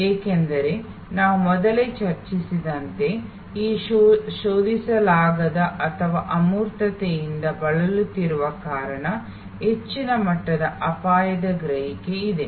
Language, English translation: Kannada, Because, as we have discussed earlier services suffer from this non searchability or abstractness therefore, there is a higher degree of risk perception